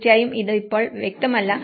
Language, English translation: Malayalam, Of course, itís not legible now